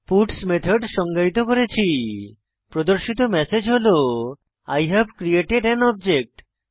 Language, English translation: Bengali, I have defined a puts method to display the message I have created an object